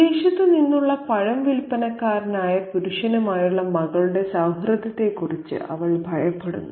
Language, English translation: Malayalam, And she, we have to remember that is apprehensive of her daughter's friendship with a male fruit seller from abroad